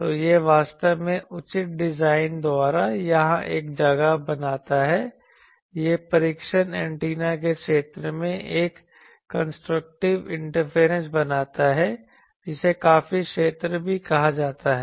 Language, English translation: Hindi, So, this actually creates a place here the by proper design, it creates a constructive interference in the region of the test antenna which is also called quite zone